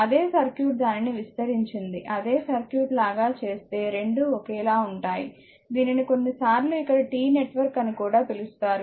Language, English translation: Telugu, Same circuit if you stretch it of and make it like this same circuit both are same it is sometimes we call it T network here also R 1 R 2 and R 3